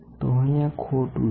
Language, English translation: Gujarati, So, here it is incorrect